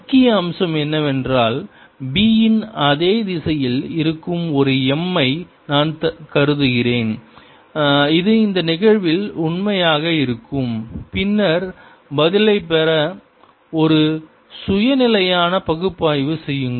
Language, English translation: Tamil, also, the main point is: i assume an m which is in the same direction as b, which happens to be the true in these cases, and then do a self consistent analysis to get the answer